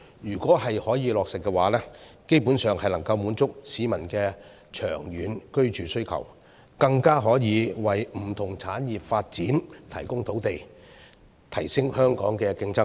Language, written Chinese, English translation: Cantonese, 如果可以落實的話，基本上能夠滿足市民的長遠居住需求，更可以為不同產業發展提供土地，提升香港的競爭力。, If implemented it can basically meet the long - term housing needs of the public and in addition provide land for the development of different industries thus enhancing Hong Kongs competitiveness